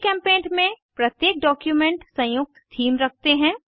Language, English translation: Hindi, In GchemPaint, each document has an associated theme